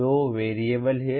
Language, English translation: Hindi, There are two variables